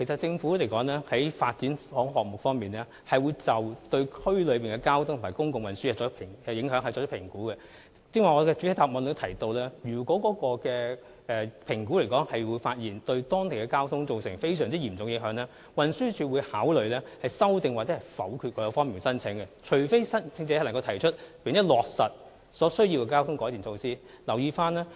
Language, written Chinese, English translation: Cantonese, 政府進行發展項目時，其實會對區內交通和公共運輸進行影響評估，我剛才在主體答覆中指出，如果評估發現有關發展項目可能會對當區的交通情況造成嚴重影響，運輸署會考慮修訂或否決有關申請，除非申請者能提出並落實所需的交通改善措施。, In taking forward developments the Government will conduct Traffic Impact Assessment Studies on local traffic and public transport . As pointed out in the main reply just now if the Traffic Impact Assessment Study indicated that the concerned development might cause significant impact on local traffic TD would consider amending or rejecting the application unless the applicant could come up with and implement the necessary traffic improvement measures